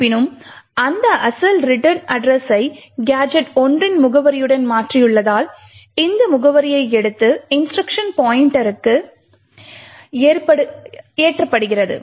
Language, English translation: Tamil, However, since we have replaced that original return address with the address of gadget 1, this address is taken and loaded into the instruction pointer